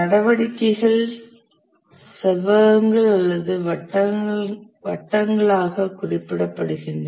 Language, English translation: Tamil, The activities are represented as rectangles or circles